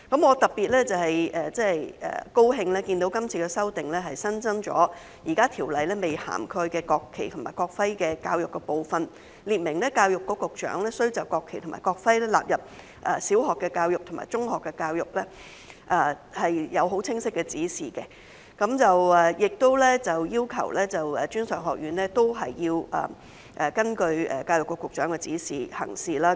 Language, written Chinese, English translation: Cantonese, 我特別高興看到今次修訂新增了現時條例未涵蓋的國旗及國徽教育的部分，列明教育局局長須就將國旗及國徽納入小學教育及中學教育發出清晰指示，亦要求專上院校須參照教育局局長的指示行事。, I am particularly glad to see that the current amendment has added a new section on the education in national flag and national emblem which is not covered by the existing ordinance . It provides that the Secretary for Education must give directions for the inclusion of the national flag and national emblem in primary education and in secondary education and requires that a post - secondary education institution act in accordance with the directions given by the Secretary for Education